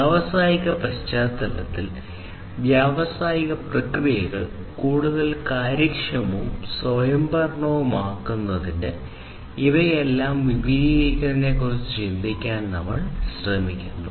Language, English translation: Malayalam, In the industrial context, we are trying to think about an extension of all of these to serve making industrial processes much more efficient and autonomous